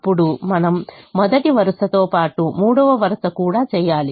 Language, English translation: Telugu, then we have to do the first row as well as the third row